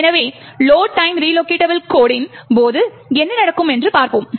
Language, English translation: Tamil, So, we have seen what happens when the load time relocatable code